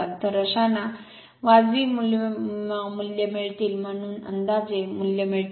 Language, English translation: Marathi, So, such that you will get the reasonable values, I mean approximate values